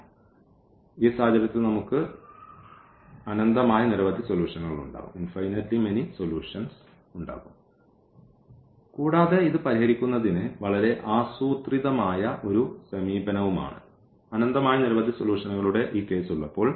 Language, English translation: Malayalam, So, in this case we will have infinitely many solutions and in terms again a very systematic approach to solve this, when we have this case of infinitely many solutions